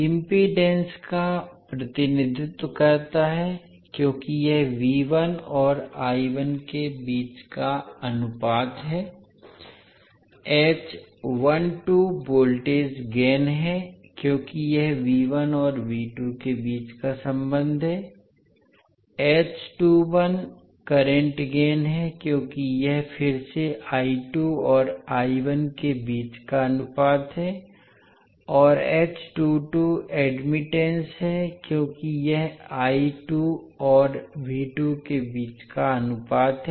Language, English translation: Hindi, h11 represents the impedance because it is the ratio between V1 and I1, h12 is the voltage gain because this is a relationship between V1 and V2, h21 is the current gain because it is again the ratio between I2 and I1 and h22 is the admittance because it is ratio between I2 and V2